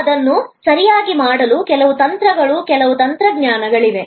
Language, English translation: Kannada, Now, to do it correctly, there are some techniques and some technologies